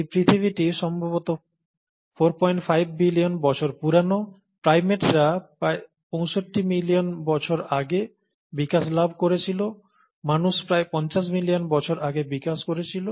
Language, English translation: Bengali, This earth is probably four point five billion years old, primates developed about sixty five million years ago, mankind, humans developed about fifty million years ago round about that some million years ago